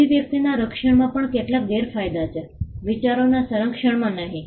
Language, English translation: Gujarati, There are also certain disadvantages in protection of expression and not in protection of ideas